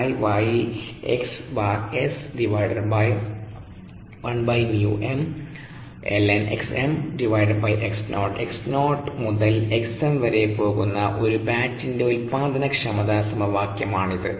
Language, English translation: Malayalam, this is the productivity expression for a batch, starting from x zero going up to x m